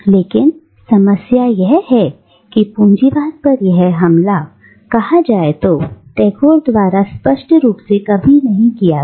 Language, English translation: Hindi, But the problem is that this attack on capitalism, per say, is never clearly spelt out by Tagore